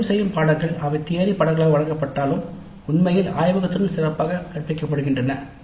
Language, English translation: Tamil, Some of the elective courses, even though they are offered as theory courses, are actually better taught along with the laboratory